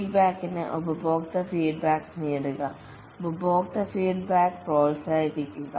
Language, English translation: Malayalam, Feedback, get customer feedback, encourage customer feedback